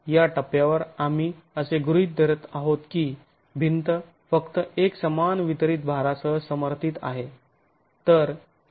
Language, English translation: Marathi, At this stage we are assuming that the wall is simply supported with a uniformed distributed load